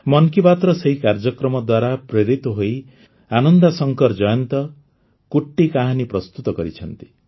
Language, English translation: Odia, Inspired by that program of 'Mann Ki Baat', Ananda Shankar Jayant has prepared 'Kutti Kahani'